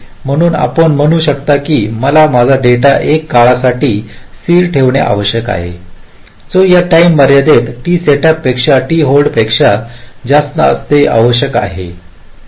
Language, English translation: Marathi, so you can say that i must have to keep my data stable for a time which must be greater than t setup plus t hold, with these time in constrained